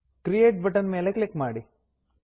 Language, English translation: Kannada, Click on the Create button